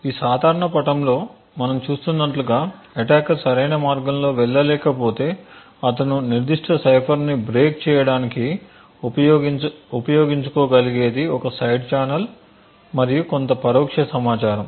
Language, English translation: Telugu, As we see in this very common figure is that if an attacker cannot go through the right way then what he could possibly use is a side channel and use some indirect information to actually break the specific cipher